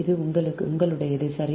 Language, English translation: Tamil, this is up to you, right